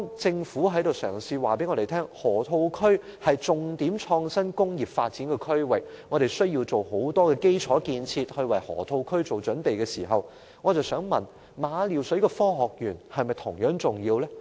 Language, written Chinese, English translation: Cantonese, 政府嘗試告訴我們，河套區是重點創新工業發展區域，我們必須進行很多基礎建設為河套區做準備，但我想問政府：馬料水的科學園是否同樣重要呢？, The Government has attempted to tell us that the Loop is a major zone for the development of innovation industries and so a lot of infrastructure works must be carried out in preparation for the Loop . However I would like to ask the Government Is the Science Park in Ma Liu Shui not equally important?